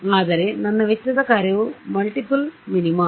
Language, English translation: Kannada, But if my cost function were multiple minima right